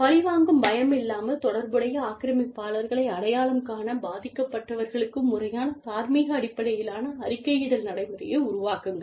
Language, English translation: Tamil, Create a formal nonjudgmental reporting procedure for victims, to identify relational aggressors, without fear of retaliation